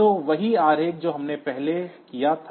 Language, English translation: Hindi, So, the same diagram that we had previously